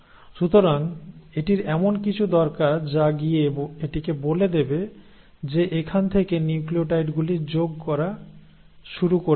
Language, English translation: Bengali, So it needs something to go and tell it that from there you need to start adding the nucleotides